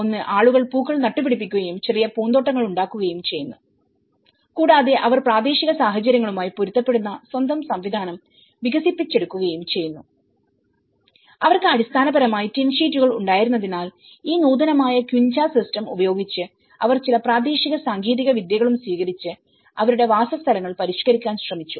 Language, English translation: Malayalam, One is, people have planted flowers and make the small gardens and they also develop their own system adapted to the local conditions, so because they had tin sheets basically, with this advanced I mean upgraded quincha system, they also adopted certain local techniques and they try to modify their dwellings